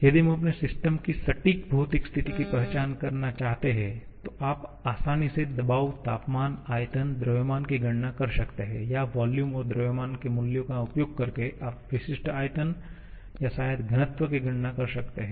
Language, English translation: Hindi, If we want to understand or identify exact physical state of our system, then you can easily calculate the pressure, temperature, volume, mass or using the value of volume and mass you can calculate specific volume or maybe density